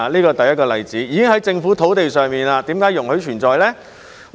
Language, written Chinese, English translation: Cantonese, 車輛已經在政府土地上，為何會容許存在呢？, Since it was already on government land why was it allowed to be there?